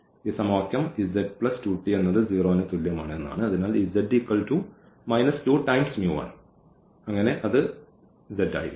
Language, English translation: Malayalam, So, for example, the z form this equation z plus 2 t is equal to 0